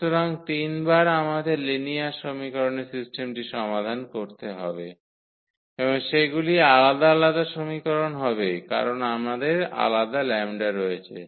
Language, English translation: Bengali, So, for 3 times we have to solve the system of linear equations and they will be different equations because we have the different lambda